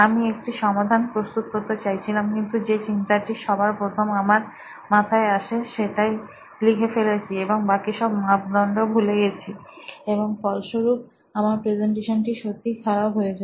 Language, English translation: Bengali, I wanted to propose a solution, but I just wrote down the first thing that came in my head and I forgot all the other parameters and this resulted my presentation to get really bad